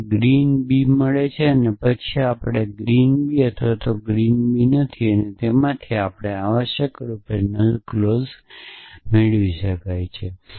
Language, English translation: Gujarati, So, you get green b and then we not green b or green b and from that we get the null clause essentially